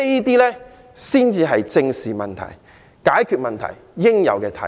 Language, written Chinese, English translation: Cantonese, 這些才是正視問題、解決問題應有的態度。, These are the correct attitudes to take when facing problems and resolving problems